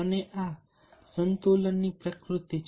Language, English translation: Gujarati, and these are some of the nature of balance